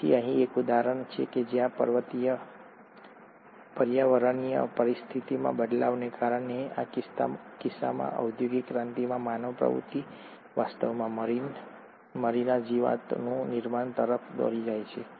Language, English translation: Gujarati, So here is an example where changing environmental conditions due to, in this case, human activity in industrial revolution, actually led to the generation of a peppered moth